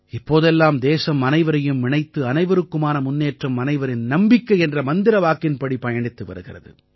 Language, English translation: Tamil, Over these years, the country has followed the mantra of 'SabkaSaath, SabkaVikas, SabkaVishwas'